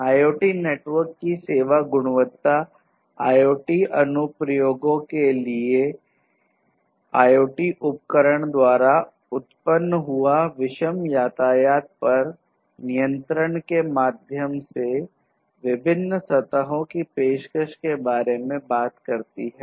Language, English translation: Hindi, So, quality of service of IoT network talks about guarantees; guarantees with respect to offering different surfaces to the IoT applications through controlling the heterogeneous traffic generated by IoT devices